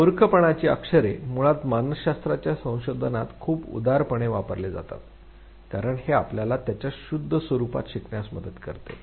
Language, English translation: Marathi, And nonsense syllables are basically very generously used in research in psychology, because it helps you understand learning in its purest form